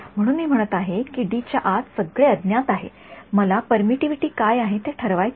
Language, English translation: Marathi, So, I am saying anything inside D is unknown I want to determine what is the permittivity